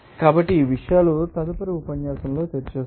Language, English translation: Telugu, So, I will discuss these things are in the next lecture